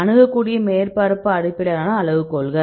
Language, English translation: Tamil, Accessible surface based criteria